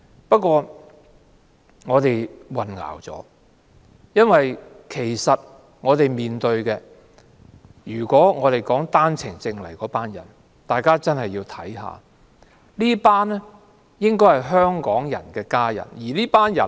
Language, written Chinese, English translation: Cantonese, 不過，我們混淆了，因為我們面對的問題，並不是持單程證來港的人造成的，大家真的要看清楚，這些應該是香港人的家人。, The problems in front of us are not created by OWP entrants . We have to be clear about one thing . These people should be family members of Hongkongers